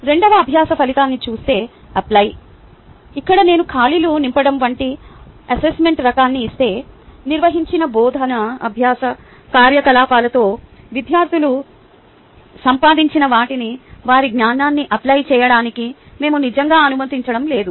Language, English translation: Telugu, looking at the second learning outcome which is apply here, if i give ah an assessment type which is like fill in the blank, we are really not allowing students to apply their knowledge, what they have gained with the ah teaching learning activity which was conducted